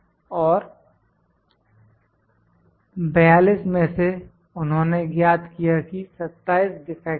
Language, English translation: Hindi, And out of 42, they find that 27 defects are there